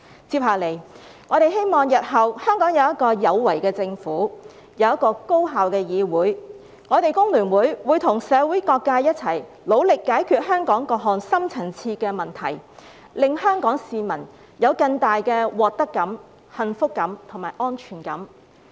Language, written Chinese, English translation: Cantonese, 接下來，我們希望日後香港有一個有為的政府，有一個高效的議會。我們工聯會會與社會各界一同努力解決香港各項深層次的問題，令香港市民有更大的獲得感、幸福感及安全感。, It is then our expectation that there will be a capable government and a highly efficient legislature in Hong Kong and together with all sectors of the community FTU will strive to resolve various deep - rooted problems in the territory so as to make Hong Kong people have a greater sense of gain happiness and security